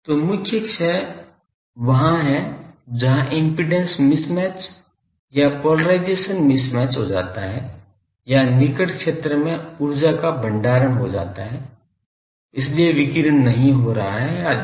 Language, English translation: Hindi, So, the main loss is in the there is there may be the impedance mismatch or polarization mismatch or in the near field , there may be storage of energy , so the radiation is not taking place etcetera